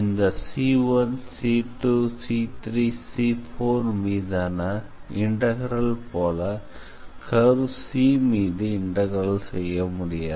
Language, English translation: Tamil, So, integral over C1 C 2 C3 C4 if you sum them then that will be the integral over the curve C